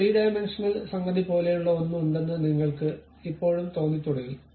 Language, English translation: Malayalam, You still start feeling like there is something like a 3 dimensional thing